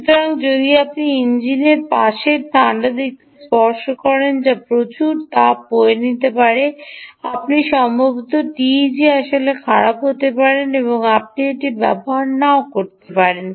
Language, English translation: Bengali, so if you touch the cold side on to the engine side which is emanating lot of heat, then you may actually the teg may actually go bad and may not be able to, you may not be use it